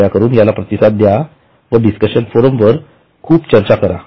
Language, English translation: Marathi, Please be responsive, discuss a lot on your discussion forum